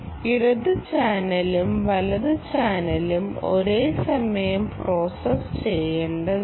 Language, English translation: Malayalam, the left and right ah channel has to be processed simultaneously, right